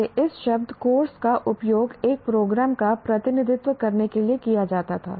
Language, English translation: Hindi, Earlier this word, course was used to represent a program